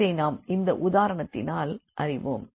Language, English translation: Tamil, So, let us consider this example